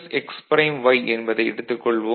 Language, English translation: Tamil, So, this is y right